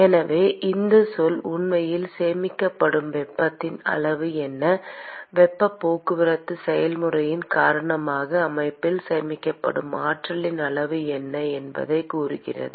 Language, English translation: Tamil, So, this term tells you what is the amount of heat that is actually being stored, what is the amount of energy that is being stored by the system because of the heat transport process